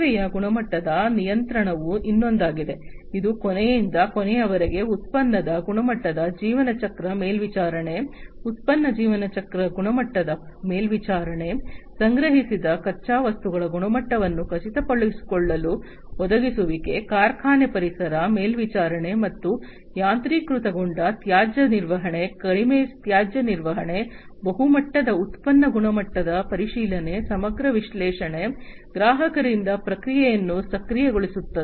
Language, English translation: Kannada, Service quality control is another one, which is about end to end product quality life cycle monitoring, product life cycle quality monitoring, provisioning to ensure quality of raw materials that are procured, factory environment, monitoring and automation, waste management, reduced waste management, multi level product quality check, holistic analytics, enabling feedback from customers